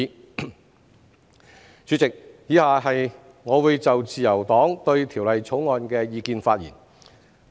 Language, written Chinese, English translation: Cantonese, 代理主席，以下我會就自由黨對《條例草案》的意見發言。, Deputy President I will now speak on the Liberal Partys views on the Bill